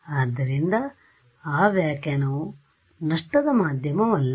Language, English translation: Kannada, So, that that interpretation is not of a lossy media right